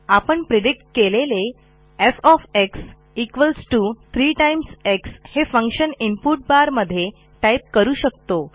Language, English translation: Marathi, The predicted function can be input in the input bar